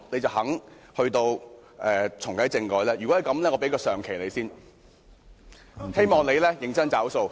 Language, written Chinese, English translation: Cantonese, 如果是，我願意先給她"上期"，希望她認真"找數"。, If yes I can give her the down payment right now . I hope she can then do her own part seriously